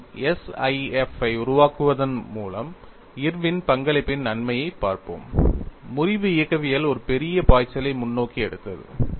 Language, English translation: Tamil, And again, we will look at the advantage of the contribution by Irwin by coining SIF;, fracture mechanics took a giant leap forward